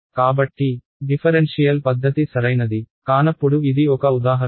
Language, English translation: Telugu, So, that would be an example where a differential method is not suitable